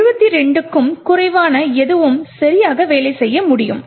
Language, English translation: Tamil, Anything less than 72 could work correctly